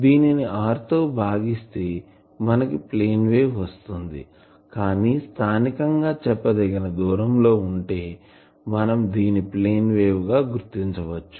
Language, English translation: Telugu, So, it is this divided by r that gives it a plane wave form, but at a sufficient distance locally over certain distance we can consider it as a plane wave